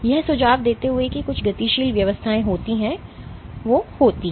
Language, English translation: Hindi, Suggesting that there are some dynamic rearrangements which happen